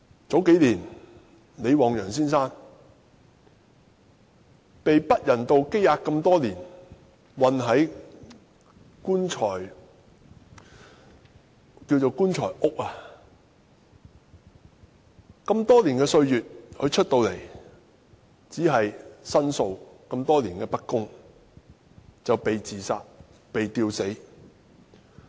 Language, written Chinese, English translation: Cantonese, 數年前，李旺陽先生被不人道羈押多年，被囚禁於所謂的"棺材屋"。他出來後只是申訴多年來的不公，就"被自殺、被吊死"。, A few years ago Mr LI Wangyang who had been inhumanely detained in a so - called coffin house for years was suicided by suspension for complaining the injustice over the years after his release